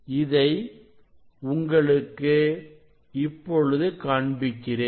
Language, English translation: Tamil, So now, I will show you; I will show you the reading